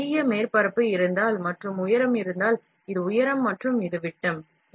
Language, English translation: Tamil, If there is a large surface, and the height is, this is height and this is height and this is dia, fine